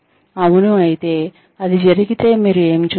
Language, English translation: Telugu, If yes, if it occurred, what did you see